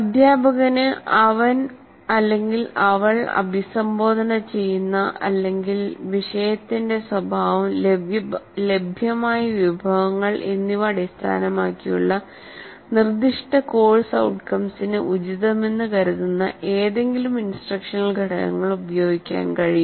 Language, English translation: Malayalam, The teacher can make use of any of the instructional components he considers appropriate to the particular course outcome is addressing or based on the nature of the subject as well as the resources that he has and so on